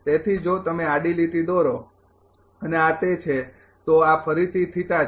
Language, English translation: Gujarati, So, if you draw a horizontal line and this one is this is again this one is again theta right